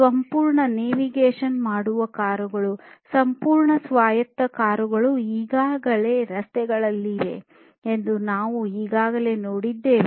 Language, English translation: Kannada, And you know, now already we have seen that self navigating cars, fully autonomous cars are already in the roads